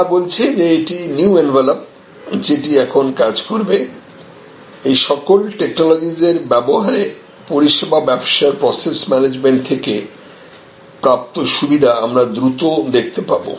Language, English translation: Bengali, They are saying that this is the new envelop which will operate; that means very rapidly we will see the advantage coming from the service business process management by use of these technologies